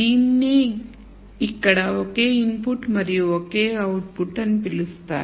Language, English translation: Telugu, This is what is called as a case of single input here and a single output